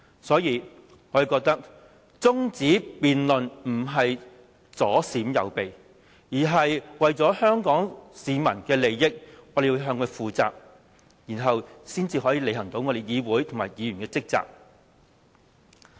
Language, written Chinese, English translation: Cantonese, 所以，我們認為中止辯論並不是左閃右避，而是為了香港市民的利益，我們要向市民負責，然後才能履行議會和議員的職責。, Hence we do not think that our act of moving the adjournment debate is an evasive one . Instead we are doing it for the peoples interest . We maintain that we must hold ourselves accountable to the public in this way for it is only in this way that we can discharge our duties of the legislature and as legislators